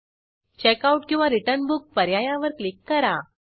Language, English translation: Marathi, Click on Checkout/Return Book